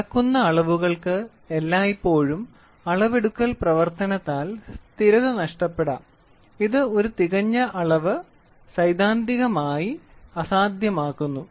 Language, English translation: Malayalam, The measured quantity is always disturbed by the art of measurement, which makes a perfect measurement theoretically impossible